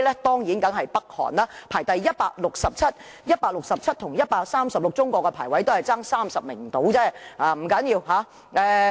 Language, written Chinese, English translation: Cantonese, 當然是北韓，排名167位，而中國排名 136， 兩者只相差30位而已，不要緊。, It is undoubtedly North Korea which ranks 167 . China which democracy ranking is 136 is just 30 places higher than that of North Korea . But it does not matter